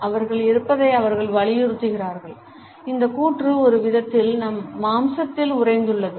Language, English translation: Tamil, They assert what is there and this assertion, in a way, is frozen in our flesh